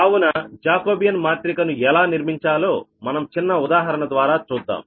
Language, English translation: Telugu, so it is a small, small example to show that how jacobian can be form, right